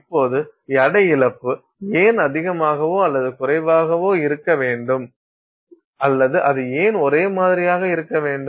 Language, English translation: Tamil, Now, why should the weight loss be high or low or it should, why it might end up being the same